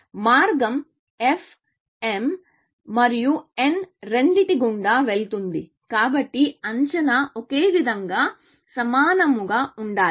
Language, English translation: Telugu, Since, the path is going through both f, and both m and n, the estimate should be ideally the same